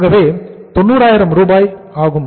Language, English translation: Tamil, So this is 90,000 Rs